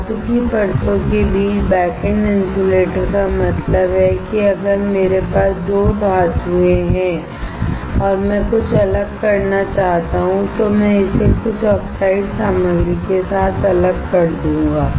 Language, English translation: Hindi, Backend insulators between metal layers means if I have two metals and I want to have some separation, I will separate it with some oxide material